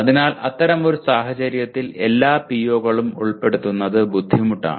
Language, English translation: Malayalam, So in such a case it is difficult to include all the POs